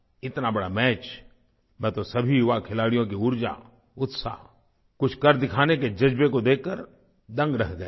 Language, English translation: Hindi, Such a big spectacle, I was astounded to see the energy, enthusiasm, and zeal of all the young players